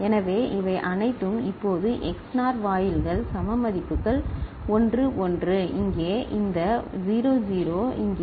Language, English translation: Tamil, So, all these now XNOR gates having same you know, equal values 1 1 here, this 0 0 over here, 1 1 over here